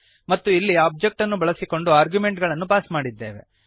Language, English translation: Kannada, And here we have passed the arguments using the Object